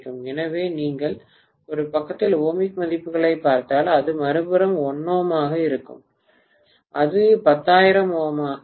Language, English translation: Tamil, So if you look at the ohmic values on one side, if it is 1 ohm on the other side, it will be 10,000 ohms, are you getting my point